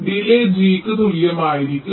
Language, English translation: Malayalam, the delay will be equal to g